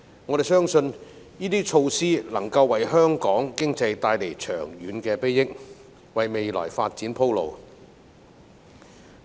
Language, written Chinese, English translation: Cantonese, 我們相信，這些措施能夠為香港經濟帶來長遠裨益，為未來發展鋪路。, We believe that these measures will bring long - term benefits to our economy and pave the way for future development